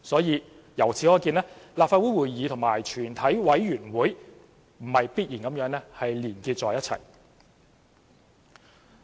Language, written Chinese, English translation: Cantonese, 由此可見，立法會會議和全委會不是必然地連結在一起。, We can thus see that the meeting of the Legislative Council and a committee of the whole Council are not necessarily linked up with each other